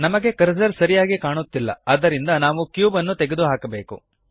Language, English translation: Kannada, We cant see the cursor properly so we must delete the cube